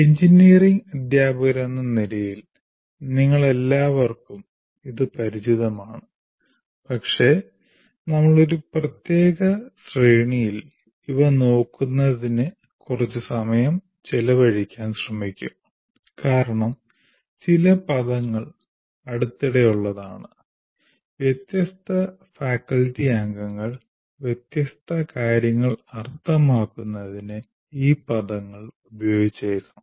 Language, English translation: Malayalam, As engineering teachers, all of you are familiar with this, but we will try to spend some time in looking at this in one particular sequence because much some of the terminology, if not all the terminology, is somewhat recent and to that extent different faculty members may use these terms to mean different things